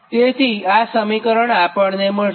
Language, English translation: Gujarati, so this equation we will get